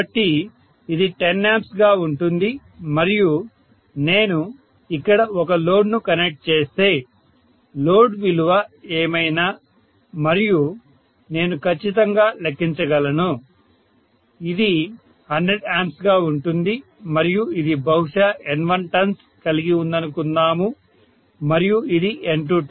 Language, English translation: Telugu, So let me specify those currents as well, so this is going to be 10 ampere and if I connect a load here, whatever is the load value and I can calculate definitely, this is going to be 100 amperes and let’s say maybe this is having N1 turns and this is N2 turns, 10 is to 1, right